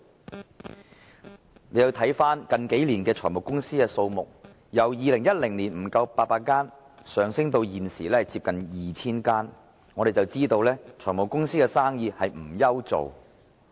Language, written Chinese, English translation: Cantonese, 大家看到，近年財務公司的數目由2010年不足800間，上升至現時接近 2,000 間，可知財務公司不愁沒有生意。, In recent years the number of finance companies has increased from less than 800 in 2010 to nearly 2 000 now from this we can see that finance companies need not worry about poor business prospect